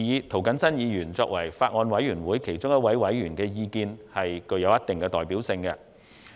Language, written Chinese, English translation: Cantonese, 涂謹申議員作為法案委員會其中一位委員，其意見具有一定代表性。, The views of Mr James TO being a member of the Bills Committee have a certain degree of representativeness